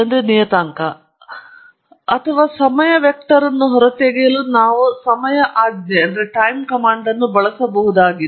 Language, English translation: Kannada, Or to extract the time vector we could use the time command